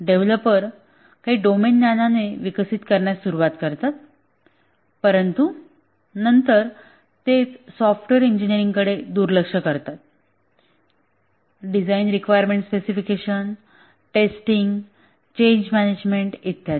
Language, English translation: Marathi, The developers start developing with some domain knowledge but then they ignore the software engineering issues, design, requirement specification, testing, change management and so on